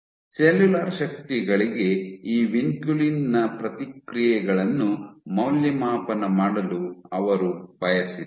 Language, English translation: Kannada, What they first did was they wanted to evaluate the responses of this vinculin to cellular forces